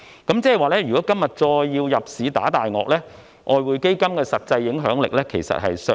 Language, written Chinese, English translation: Cantonese, 換言之，如果今天要再入市"打大鱷"，外匯基金的實際影響力其實已見削弱。, In other words if the need to fend off major speculators in the market arises again today the actual influence that EF can exert has in fact diminished